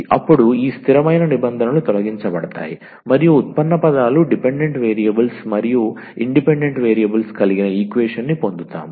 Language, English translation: Telugu, Then these this constant terms will be removed and we will get an equation which contains the derivative terms dependent variables and independent variables